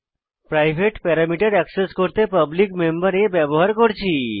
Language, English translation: Bengali, To access the private parameter we used the public member a